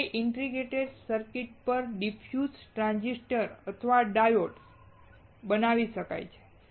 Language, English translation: Gujarati, Now diffuse transistors or diodes can be made on this integrated circuit